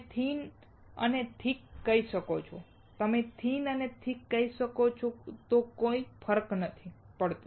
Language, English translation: Gujarati, You can call thick and thin; you can call thin and thick; does not matter